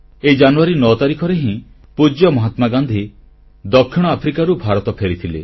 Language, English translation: Odia, It was on the 9 th of January, when our revered Mahatma Gandhi returned to India from South Africa